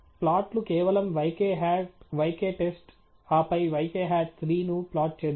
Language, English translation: Telugu, Let’s plot simply the yk hat, yk test, and then plot yk hat 3